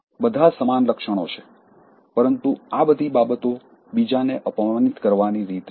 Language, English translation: Gujarati, All are similar traits but doing all these things in a way to humiliate others